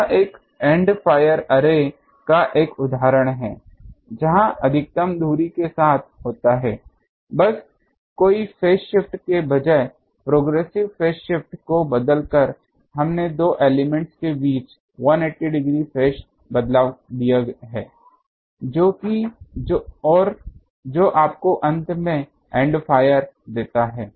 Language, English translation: Hindi, This is an example of an end fire array where the maximum takes place at the along the axis, ok, just by changing the progressive phase shift instead of no phase shift we have given a 180 degree phase shift between the two element and that gives you end fire